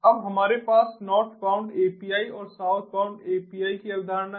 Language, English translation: Hindi, now we have the concept of northbound api and southbound api